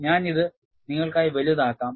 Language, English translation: Malayalam, I will enlarge this for you